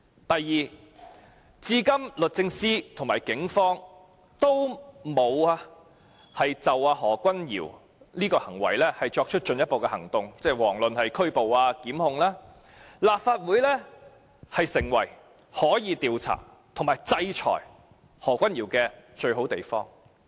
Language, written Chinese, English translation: Cantonese, 第二，律政司和警方至今仍未就何君堯議員的行為採取進一步行動，遑論拘捕或檢控，所以立法會便成為可以調查和制裁何君堯議員的最佳地方。, Secondly as the Department of Justice and the Police have so far taken no further action against Dr Junius HO let alone taking action to arrest or prosecute him the Legislative Council has become the best forum to inquire into matters relating to Dr Junius HOs behaviour and impose a sanction accordingly